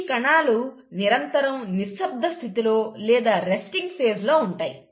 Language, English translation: Telugu, Now these cells perpetually stay in a state of quiescence, or a resting phase